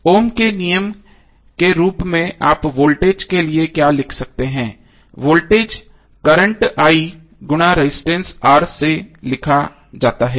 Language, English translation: Hindi, So as for Ohm’s law what you can write for voltage, voltage would be current I and multiplied by resistance R